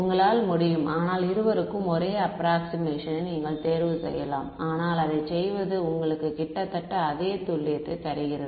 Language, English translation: Tamil, You can, but it I am giving you even you can choose the same approximation for both, but it turns out that doing this gives you almost the same accuracy right